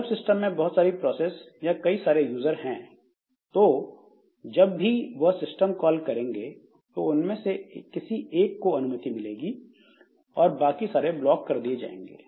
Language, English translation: Hindi, So, as a result, if there are multiple processes or multiple users in the system, so whenever they make a system call, so only one of them will be allowed and others will be blocked